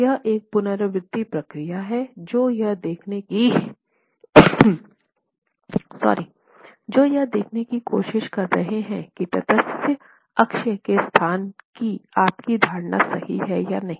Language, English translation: Hindi, So it's an iterative procedure where you're trying to see if your assumption of the location of the neutral axis is correct